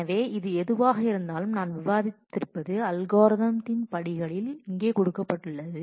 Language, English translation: Tamil, So, this is whatever I have described is simply given here in steps of algorithm